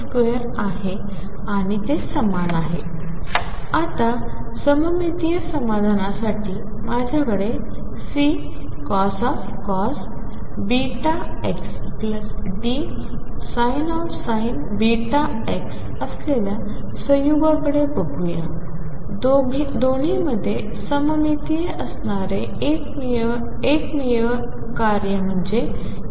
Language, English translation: Marathi, Now, let us look at the combination I have C cosine of beta x plus D sin of beta x for symmetric solution the only function that is symmetric between the two is cosine